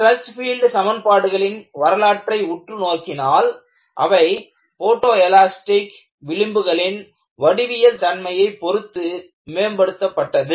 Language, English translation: Tamil, If you really look at the history, the stress field equations have been improved by looking at the geometric features of the photoelastic fringe